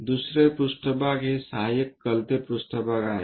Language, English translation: Marathi, The other plane is auxiliary inclined plane